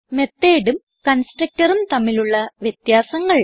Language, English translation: Malayalam, And Differences between method and constructor